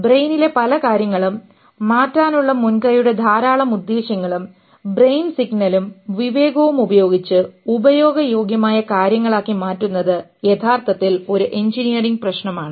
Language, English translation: Malayalam, Lot of things in the brain and lot of intentions of the initiative of changing, using the brain signal and understanding to convert it to utilitarian stuff is actually an engineering problem